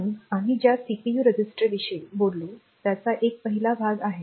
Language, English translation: Marathi, So, this is the first part the CPU registers that we talked about